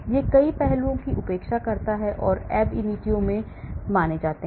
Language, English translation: Hindi, it neglects many aspects that are considered in ab initio